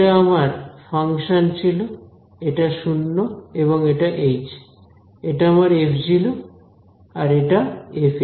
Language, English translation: Bengali, This is 0 and h right and this is my f of 0 and f of h